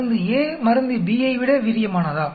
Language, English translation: Tamil, Is drug A more effective than drug B